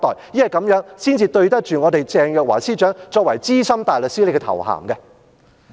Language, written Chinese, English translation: Cantonese, 因為這樣才對得起鄭若驊司長所擁有的資深大律師的頭銜。, Only by doing so can Secretary Teresa CHENG live up to her title of Senior Counsel